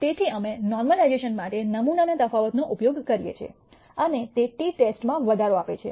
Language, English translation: Gujarati, So, we use the sample variance for normalization and that gives rise to a t test